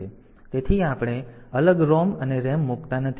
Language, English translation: Gujarati, So, we do not put separate ROM and RAM